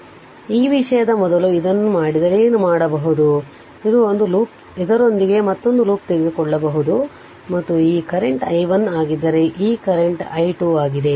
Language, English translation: Kannada, So, what you can do is you just ah if I if I make it like this before this thing, so this is this is one loop this is another loop you can take right and if this current is i 1 this current is i 2 right